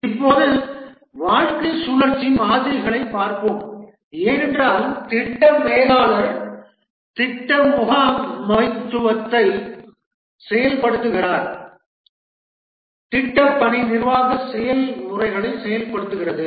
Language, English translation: Tamil, Now let's look at the lifecycle models because the project manager executes the project management the project management processes to direct the project team to carry out the development work